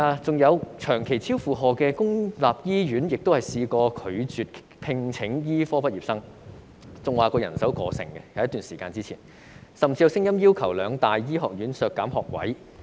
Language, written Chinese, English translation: Cantonese, 此外，長期超負荷的公立醫院亦曾拒絕聘請醫科畢業生，有一段時間表示人手過剩，甚至有聲音要求兩大醫學院削減學位。, In addition there was a time when constantly overloaded public hospitals refused to employ medical graduates claiming that they were overstaffed . There were even calls for the two medical schools to cut the number of places